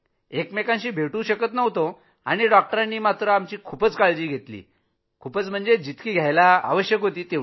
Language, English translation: Marathi, We wouldn't meet but the doctors took complete care of us to the maximum extent possible